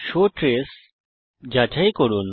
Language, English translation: Bengali, check the show trace on